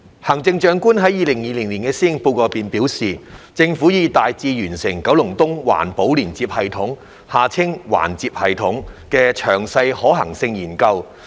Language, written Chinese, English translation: Cantonese, 行政長官在《2020年施政報告》中表示，政府已大致完成九龍東環保連接系統的詳細可行性研究。, The Chief Executive indicated in the 2020 Policy Address that the Government had largely completed the detailed feasibility study on the Environmentally Friendly Linkage System EFLS for Kowloon East